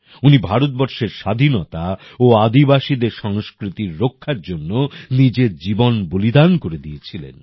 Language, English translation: Bengali, He had sacrificed his life to protect India's independence and tribal culture